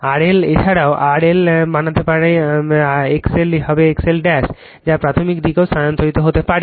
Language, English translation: Bengali, R L also you can make R L dash X L will be X L dash that also can be transferred to the primary side, right